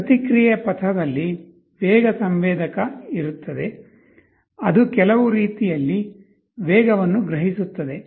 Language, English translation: Kannada, There will be a speed sensor in the feedback path, it will be sensing the speed in some way